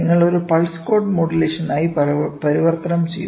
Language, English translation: Malayalam, You converted into a pulse code modulation